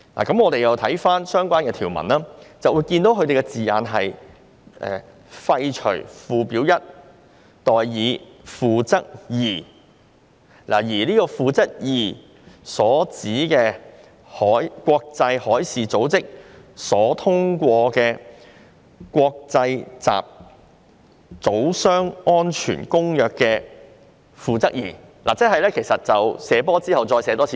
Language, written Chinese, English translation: Cantonese, 當我們翻查上述條文時，發現條文措辭是"廢除'附表 1'"，" 代以'《附則 II》'"，而《附則 II》所指的，便是國際海事組織所通過的《公約》的《附則 II》，即"射波"再"射波"。, Upon checking the above clauses we have found that they contain the wording Repeal Schedule 1 and Substitute Annex II . The Annex II here means the Annex II to the Convention adopted by IMO . That is to say the reference in those clauses is exophoric